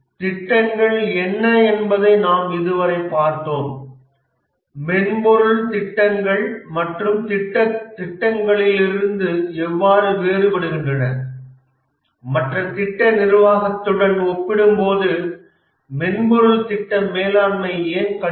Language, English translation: Tamil, We have so far looked at what are the projects, how is the software projects differed from other projects, why is software project management difficult compared to other project management